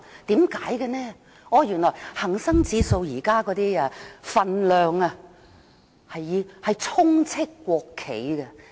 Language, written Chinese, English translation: Cantonese, 原來現在恒生指數成分股充斥國企股份。, Because a large proportion of the constituent stocks of HSI are state - owned shares